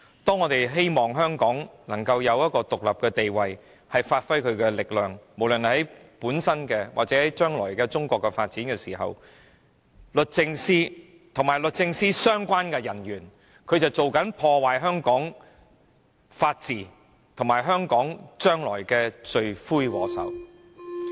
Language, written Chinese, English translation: Cantonese, 當我們希望香港擁有獨立的地位，以便無論在本身或中國將來的發展中發揮力量時，律政司司長和律政司的相關人員卻在破壞香港的法治，他們是破壞香港未來的罪魁禍首。, When we are hoping that Hong Kong would enjoy an independent status so that it would exert its best in its own future development or that of China the Secretary for Justice and the officers concerned in the Department of Justice have taken actions to damage the rule of law in Hong Kong and they are the arch - criminals who ruin the future of Hong Kong